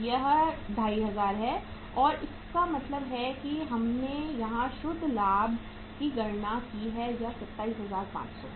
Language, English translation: Hindi, This is 2500 and it means the net profit we have calculated here is that is 27,500